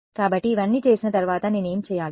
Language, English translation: Telugu, So, after having done all of this, what do I do